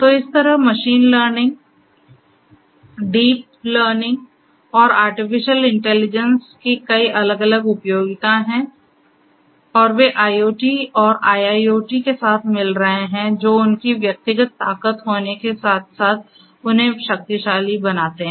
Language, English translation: Hindi, So, like this, there are many many different utility of machine learning, deep learning, and artificial intelligence and they are handshaking with IoT and IIoT, which make them powerful together in addition to having their individual strengths